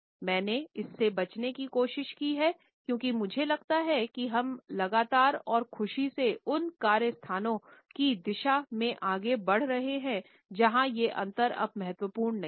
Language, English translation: Hindi, Meticulously I have tried to avoid it because I feel that we are consistently and happily moving in the direction of those work places where these differences are not important anymore